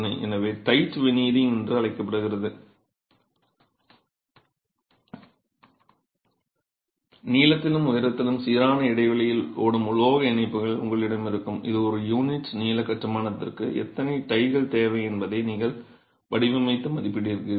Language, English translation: Tamil, So, you have what is called tied veneering, you will have metal ties that run along the length and along the height at regular intervals which you design and estimate how many ties are required per unit length of construction itself